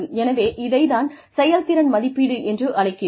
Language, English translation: Tamil, So, that is called as performance appraisal